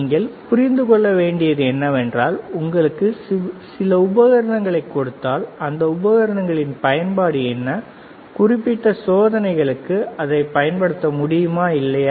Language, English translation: Tamil, What you should understand is, that given a given a set of equipment what is a use of those equipment, and can you use it for particular experiments, right